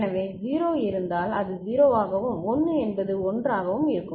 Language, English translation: Tamil, So, if it is 0 and this is 1, so this will become 0 and this will become 1 right